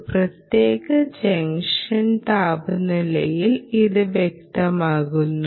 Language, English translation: Malayalam, this is specified at what junction temperature